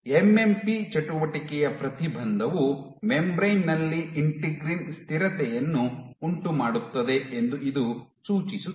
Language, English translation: Kannada, So, this suggests that Inhibition of MMP activity perturbs integrin stability at the membrane